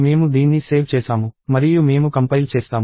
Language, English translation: Telugu, I have saved this and I will compile it